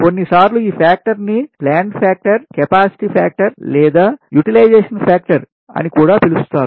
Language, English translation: Telugu, so this is known as plant factor, capacity factor or use factor